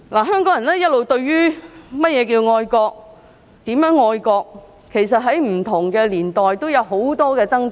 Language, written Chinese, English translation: Cantonese, 香港人一直對甚麼是愛國和如何愛國，其實在不同年代都有很多掙扎。, As to what it means to be patriotic and how to be patriotic Hong Kong people actually have a lot of struggles at different times